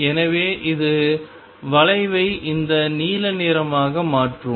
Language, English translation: Tamil, So, this will make it make the curve to be this blue one right